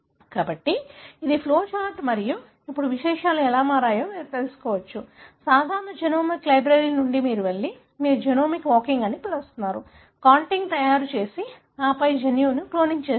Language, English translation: Telugu, So, this is the flow chart and now you can understand how things have changed; from simple genomic library you go and do what you call a genomic walking, making contig and then cloning the gene